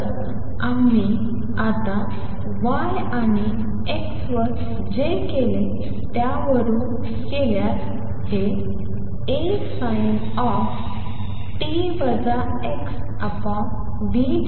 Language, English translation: Marathi, So, again going by what we did just now y at x and t would be equal to A sin of omega t minus x over v